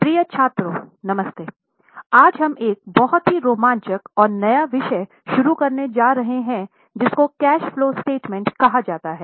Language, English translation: Hindi, Dear students, Namaste, today we are going to start one very exciting and new topic that is titled as Cash Flow Statement